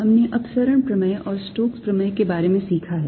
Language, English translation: Hindi, we have learnt about divergence theorem and stokes theorem